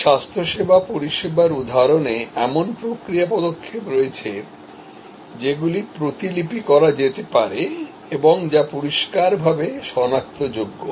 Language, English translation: Bengali, This is an example, where in this health care service example, there are process steps which can be replicated and which are clearly identifiable